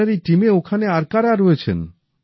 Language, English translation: Bengali, Who else is there in your team